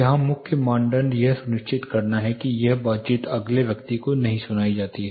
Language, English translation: Hindi, The main criteria here, is to make sure this conversation is not heard to the next person